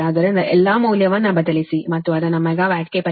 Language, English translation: Kannada, so substitute all the value and convert it to megawatt